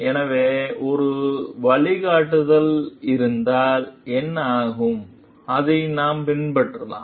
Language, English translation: Tamil, So, what happens if there is a guideline, we can follow it